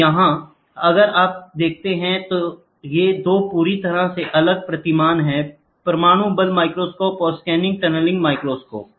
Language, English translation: Hindi, So, here if you see, these 2 are completely different paradigm; atomic force microscope and scanning tunneling microscope